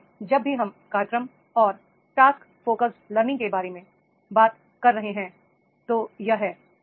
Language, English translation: Hindi, So, whenever we are talking about the program and the task focus learning is there, right